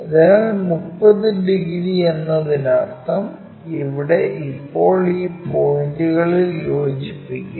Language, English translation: Malayalam, So, 30 degrees means here now join these points